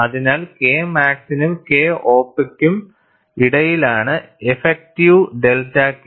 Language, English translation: Malayalam, So, the effective delta k is between K max and K op